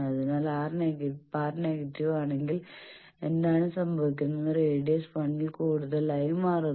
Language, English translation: Malayalam, So, if R bar is negative what happens, radius becomes more than 1